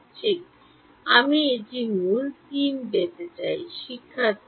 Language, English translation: Bengali, Exactly I will get a root 3